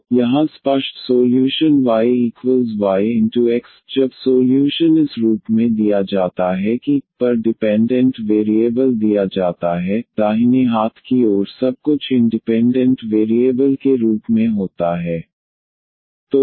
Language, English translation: Hindi, So, here the explicit solution y is equal to y x, when the solution is given in this form that y the dependent variable is given the right hand side everything contains as the independent variables